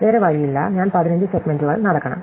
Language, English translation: Malayalam, There is no choice, I must walk 15 segments